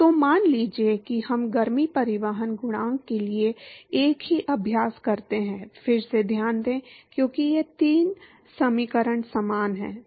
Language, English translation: Hindi, So, suppose we perform the same exercise for the heat transport coefficient, to note that again, because these three equations are similar